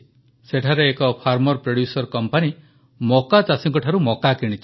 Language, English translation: Odia, There, one farmer producer company procured corn from the corn producing harvesters